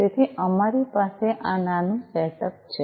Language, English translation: Gujarati, So, this is this small setup that we have